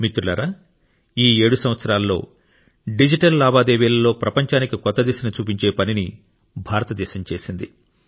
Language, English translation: Telugu, Friends, in these 7 years, India has worked to show the world a new direction in digital transactions